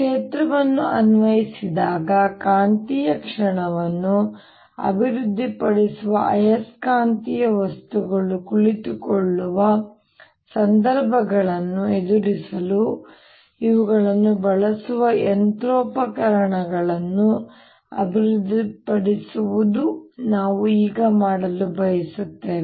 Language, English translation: Kannada, what we want to do now is develop a machinery to using these to deal situations where there are magnetic materials sitting that develop magnetic moment when a field is applied